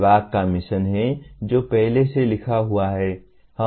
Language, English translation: Hindi, There is the mission of the department which is already written